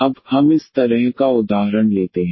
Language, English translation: Hindi, Now, we take this example of this kind